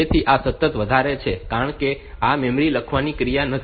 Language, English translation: Gujarati, So, this is continually high, because this is not a memory write operation